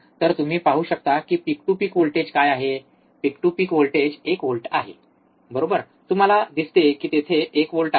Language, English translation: Marathi, So, you see what is the peak to peak voltage, peak to peak voltage is one volts, right, you see there is a 1 volt